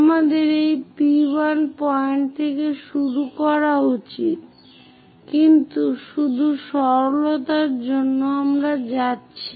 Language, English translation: Bengali, We should begin from this P1 point, but just for simplicity, we are going